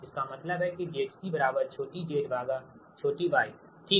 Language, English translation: Hindi, you know, root of small z by small y